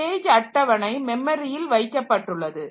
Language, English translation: Tamil, So, this actual page table is in the memory